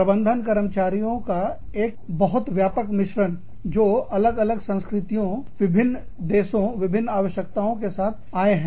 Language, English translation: Hindi, Managing, a much wider mix of employees, who have come from, different cultures, different countries, with different needs